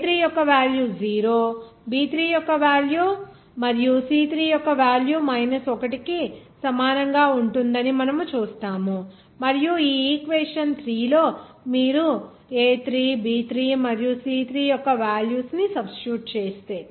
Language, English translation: Telugu, You will see that the value of a3 will be 0 b3 will be equal to 0and c3 will equal to 1 and again if you substitute this value of a3 b3 and c3 in this equation 3